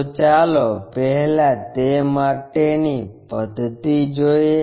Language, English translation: Gujarati, So, let us first look at the steps